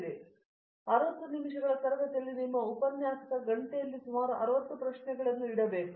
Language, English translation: Kannada, Therefore, the classroom means in your lecturer hour of 60 minutes, there should be 60 questions across